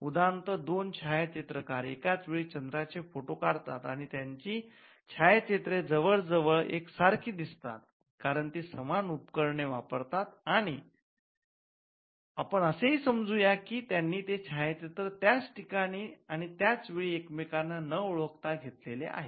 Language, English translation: Marathi, For instance, two photographers photograph the moon at the same time and their photographs look almost identical they use the same equipment and let us also assume that they shoot the photograph from similar location as well without knowledge of each other and at the same time